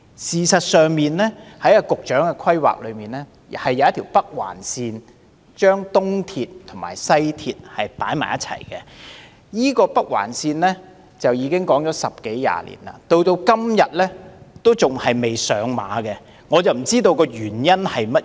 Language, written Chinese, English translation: Cantonese, 事實上，在現時的規劃中有一條北環線連接東鐵線和西鐵線，但這條北環線已討論了十多二十年，至今仍未付諸實行，我不知道當中原因何在。, As a matter of fact the construction of the Northern Link has been proposed to link the East Rail Line up with the West Rail Line but discussions in this respect have been going on for nearly 20 years yet no action has been taken so far to implement the railway project . I wonder what are the reasons